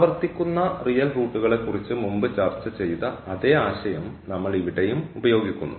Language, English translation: Malayalam, So, again the same idea like we have discussed further for the real roots that will be applicable now